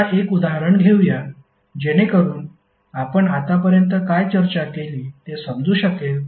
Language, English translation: Marathi, Now, let us take one example so that you can understand what we discuss till now